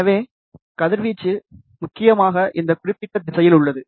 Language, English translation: Tamil, So, radiation is mainly in this particular direction